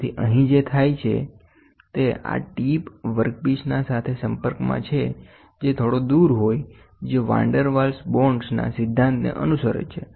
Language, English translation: Gujarati, So, here what that happens is; this tip will can come in contact with the work piece can be slightly far away which follows the principle of Van der Waals bond